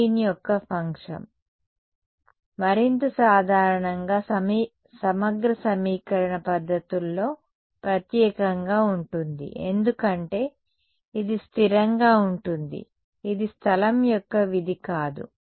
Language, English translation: Telugu, Green’s function in more generally integral equation methods right particularly so, because this guy is constant its not a function of space